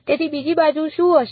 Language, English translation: Gujarati, So, the other side will be what